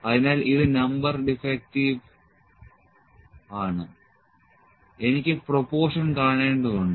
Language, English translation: Malayalam, So, this is Number Defective np number defective I need to see the proportion